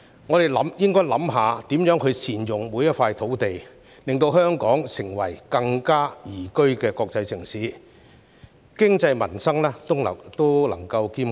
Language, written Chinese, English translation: Cantonese, 我們應該思考如何善用每幅土地，令香港成為更宜居的國際城市，經濟民生皆能兼顧。, We should consider how to utilize each and every piece of land so as to make Hong Kong a more livable international city where peoples livelihood can improve as the economy develops